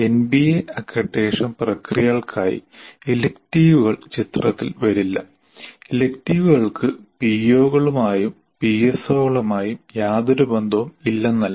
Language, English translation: Malayalam, Electives do not come into picture of for an MBA accreditation process, not that the electives have nothing to do with POs and PSOs